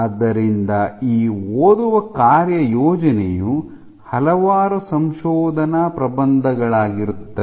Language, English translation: Kannada, So, these reading assignments are will be from multiple research papers